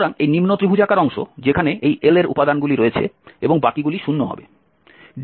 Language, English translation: Bengali, So this is lower triangular having these elements L and the rest will set to be 0